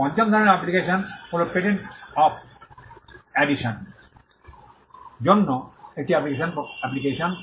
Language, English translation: Bengali, The fifth type of application is an application for a patent of addition